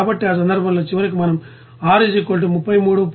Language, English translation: Telugu, So, in that case finally we can get to that at R = 33